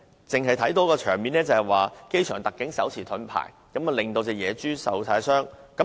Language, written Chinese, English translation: Cantonese, 當天，我們只看到機場特警手持盾牌，野豬受傷。, On that day we saw members of the Airport Security Unit holding shields and the wild pig was hurt